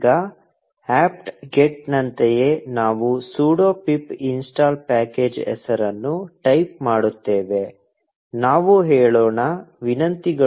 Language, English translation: Kannada, Now, similar to apt get, we type sudo pip install package name; let us say, requests